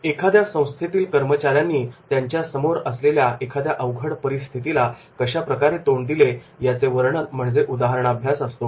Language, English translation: Marathi, A case study is a description about how employees or an organization dealt with a difficult situation